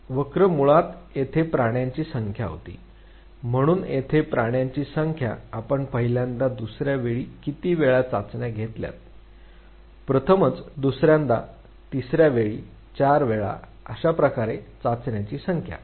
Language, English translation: Marathi, The curve basically had the number of attempts here, so the number of attempts here ,how many trials you take first time second time likewise, first time, second time, third time, four time, so likewise the number of trials